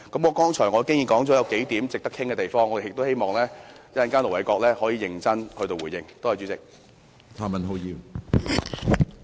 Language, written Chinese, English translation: Cantonese, 我剛才已提出數點值得討論的地方，希望盧偉國稍後能認真地作出回應。, I have just put forward a few points worth discussing hoping that Ir Dr LO Wai - kwok can make an earnest response later